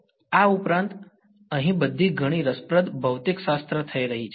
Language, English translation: Gujarati, Besides, there is a lot of interesting physics happening over here